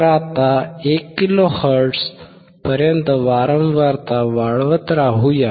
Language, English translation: Marathi, So now, let us keep increasing the frequency till 1 kilo hertz